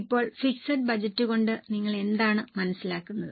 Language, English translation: Malayalam, Now, what do you understand by fixed budget